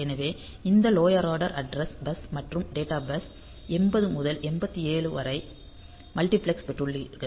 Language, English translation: Tamil, So, you have got this lower order address bus and data bus multiplexed 80 to 8 7